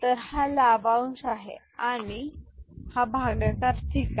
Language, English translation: Marathi, So, this is the dividend and this is the divisor ok